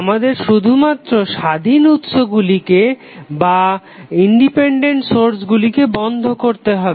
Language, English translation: Bengali, We have to simply turn off the independent sources